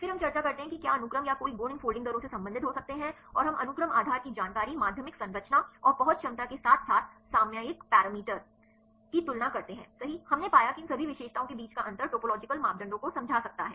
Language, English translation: Hindi, Then we discuss whether the sequences or any properties can relates these folding rates right and we compare the sequence base information secondary structure and accessibility right as well as the topological parameter right, we found the difference among all these features the topological parameters could explain up to 0